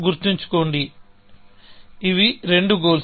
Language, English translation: Telugu, Remember, these are two goals